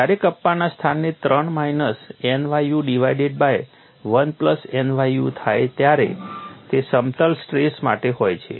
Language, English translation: Gujarati, When kappa is replace by 3 minus nu divided by 1 plus nu it is for plane stress